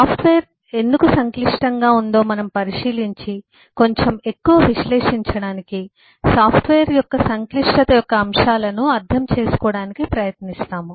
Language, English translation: Telugu, in this module we look at what is the complexity of software, that is, we take a look at why software is complex and, to analyze little bit more, we try to understand the elements of the complexity of a software